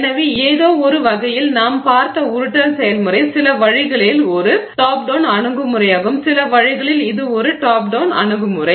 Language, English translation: Tamil, So, in some sense the rolling process that we saw is a top down approach in some sense